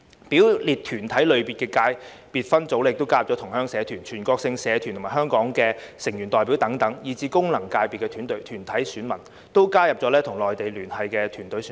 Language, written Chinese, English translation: Cantonese, 表列團體類別的界別分組，亦加入同鄉社團、全國性團體香港成員代表等，以至功能界別團體選民，都加入與內地聯繫的團體選民。, The subsectors of the umbrella organizations have been expanded to include associations of Chinese fellow townsmen and representatives of Hong Kong members of relevant national organizations and even corporate voters for functional constituencies have included corporate voters with Mainland ties